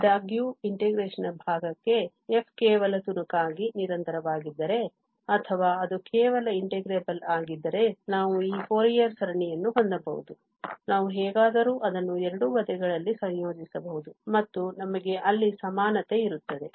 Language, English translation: Kannada, However, for the integration part if f is just piecewise continuous or if it is just integratable so that we can have this Fourier series, we can anyway integrate it both the sides and we have equality there